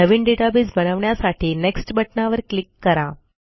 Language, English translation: Marathi, Click on the Next button to create a new database